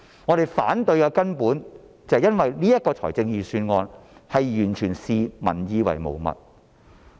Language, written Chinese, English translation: Cantonese, 我們反對的根本理由，是預算案完全視民意為無物。, The fundamental reason for our opposition is that the Budget totally ignores peoples opinion